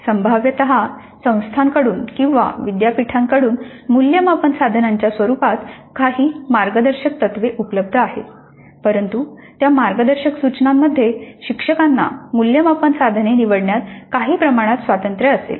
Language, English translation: Marathi, There are guidelines possibly available either from the institute or from the university as to the nature of assessments, assessment instruments allowed, but within those guidelines instructor would be having certain amount of freedom in choosing the assessment instruments